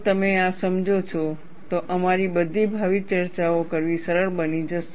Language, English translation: Gujarati, If you understand this, all our future discussions, it becomes easier to discuss